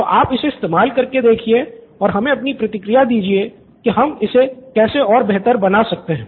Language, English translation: Hindi, If you can run through the app and give us any feedback in terms of making this even more better